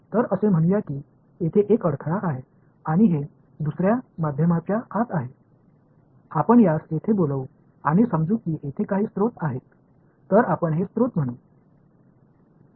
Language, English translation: Marathi, So, let us say that there is one obstacle over here and it is inside another medium let us call this thing over here and let us say that there are some sources over here ok, so let us call this is a source